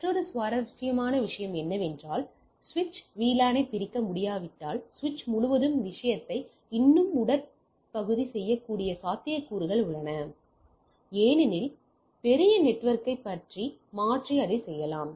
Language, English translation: Tamil, Another interesting is that if the switch cannot segregate the VLAN, there are possibility there are thing it can still trunk the thing across the switch because there may be switch large network and go on doing that